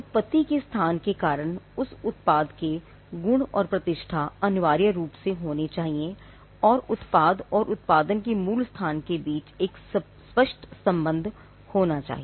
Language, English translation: Hindi, The qualities characteristics or reputation of that product should be essentially due to the place of origin and there has to be a clear link between the product and it is original place of production